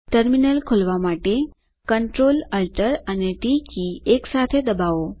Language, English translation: Gujarati, Press CTRL+ALT+T simultaneously to open the Terminal